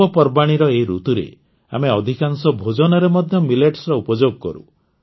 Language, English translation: Odia, In this festive season, we also use Millets in most of the dishes